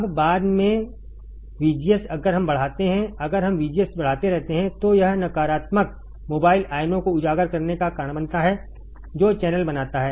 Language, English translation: Hindi, Now, later VGS if we increase, if we keep on increasing VGS it causes uncovering of negative mobile ions right which forms the channel